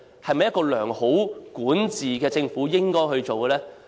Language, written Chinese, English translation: Cantonese, 又是否一個良好管治的政府應該做的呢？, Or is this what a government with good governance should do?